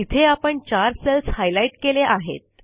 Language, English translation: Marathi, Here we have highlighted 4 cells